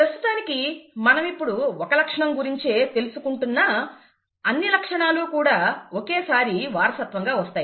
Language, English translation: Telugu, Right now we are looking at only one character, but all characters are being inherited simultaneously